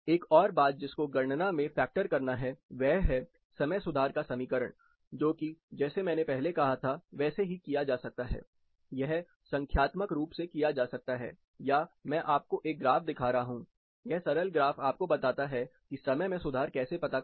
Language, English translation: Hindi, Another thing which has to be factored in the calculation is the equation of time correction which can be done like I said earlier, it can be done numerically or I am showing you a graphic indicator, this simple graph which tells you how to find out the time correction